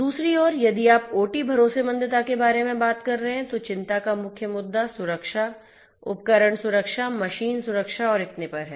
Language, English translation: Hindi, On the other hand, if you are talking about OT trustworthiness, the main issues of concern are safety, device safety, machine safety and so on